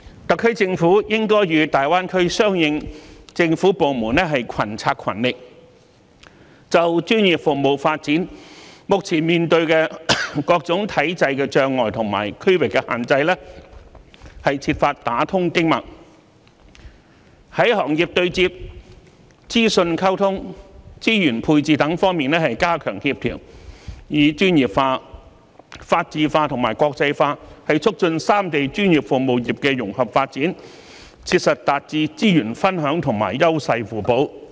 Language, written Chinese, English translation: Cantonese, 特區政府應該與大灣區相關政府部門群策群力，就專業服務發展目前面對的各種體制障礙和區劃限制，設法打通經脈，在行業對接、資訊溝通、資源配置等方面加強協調，以專業化、法治化和國際化促進三地專業服務業融合發展，切實達致資源分享和優勢互補。, The SAR Government should work in partnership with related local governments in the Greater Bay Area to strive to smooth out systemic obstacles and regional restrictions encountered in the development of professional services; enhance coordination in industry interfacing information exchange resources allocation etc . ; and facilitate the development of the professional services sectors of the three places under the spirits of professionalism rule of law and internationalization in an integrated manner with a view to duly achieving resources sharing and complementary cooperation